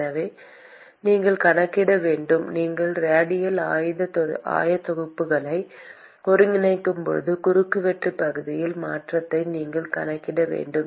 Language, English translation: Tamil, So, you have to account for when you integrate the radial coordinates, you will have to account for change in the cross sectional area